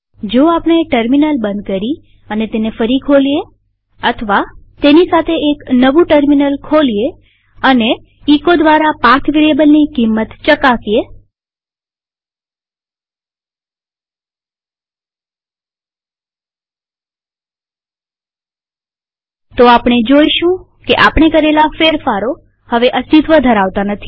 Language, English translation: Gujarati, If we close the terminal and open it again or open a new terminal altogether and check the path variable by echoing its value We will be surprised to see that our modifications are no longer present